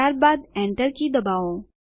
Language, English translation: Gujarati, Then press the Enter key